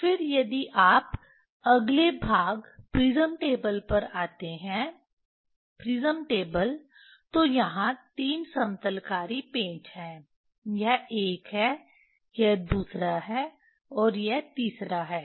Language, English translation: Hindi, Then if you come to the come to the next part prism table, say prism table there are 3 leveling screw, this is one, this is another and this is third one